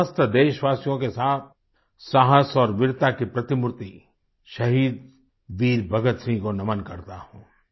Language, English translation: Hindi, I join my fellow countrymen in bowing before the paragon of courage and bravery, Shaheed Veer Bhagat Singh